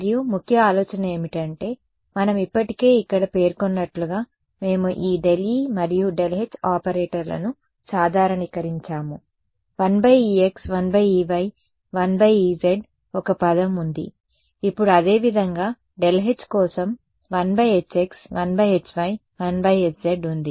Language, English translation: Telugu, And the key idea was as we already mentioned over here, we have generalized this del e and del h operator, to now have a 1 by e x 1 by e y 1 by e z term, similarly for the h 1 by h x 1 by h y 1 by h z ok